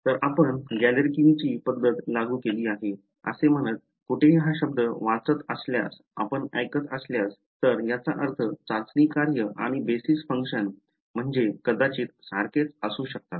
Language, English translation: Marathi, So, if you hear if you read the word anywhere with says Galerkin’s method was applied, it means the testing function and the basis function whatever they maybe about the same